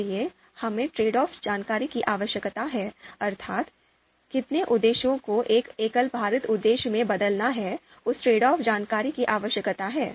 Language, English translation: Hindi, So we need trade off information how multiple objectives are to be transformed into a weighted single objective, so that trade off information is required